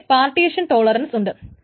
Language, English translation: Malayalam, Of course they are partition tolerant